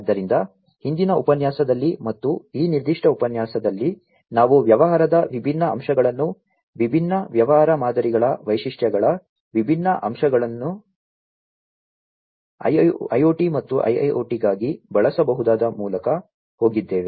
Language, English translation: Kannada, So, with this in the previous lecture as well as the as well as in this particular lecture, we have gone through the different aspects of business, the different aspects of the features of the different business models, that can be used for IoT and IIoT respectively